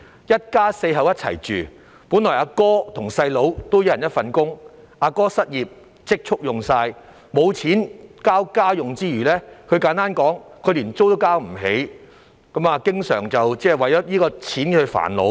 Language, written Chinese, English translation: Cantonese, 一家四口住在一起，本來哥哥和弟弟各打一份工，但哥哥失業並花光了積蓄，沒有錢給家用之餘，簡單來說，連租金也交不起，經常為錢銀煩惱。, There was a family of four living under the same roof . At first two brothers each had his own jobs but then the elder brother became unemployed and spent all his savings . Not only did he have no money to pay for the household expenses to put it simply he could not even afford the rents and so he fretted about money all the time